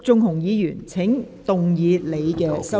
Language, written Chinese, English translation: Cantonese, 陸頌雄議員，請動議你的修正案。, Mr LUK Chung - hung you may move your amendments